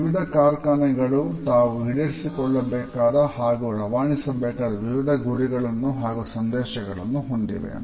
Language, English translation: Kannada, Different industries have different goals and messages which they want to convey and fulfill